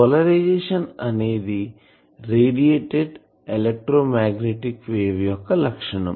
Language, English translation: Telugu, So, what is the polarisation of the, of an electromagnetic wave